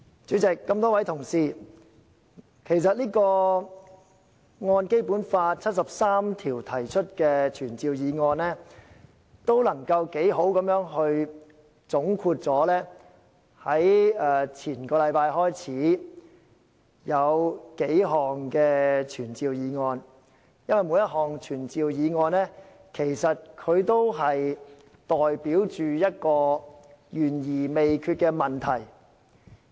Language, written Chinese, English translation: Cantonese, 主席，各位同事，其實這項根據《基本法》第七十三條提出的傳召議案，可以充分總括上兩個星期開始辯論的數項傳召議案，因為每項傳召議案都代表一個懸而未決的問題。, President fellow Members this summons motion moved under Article 73 of the Basic Law will conclude the few summons motions which were debated in the past two weeks because each summons motion represents a problem pending a solution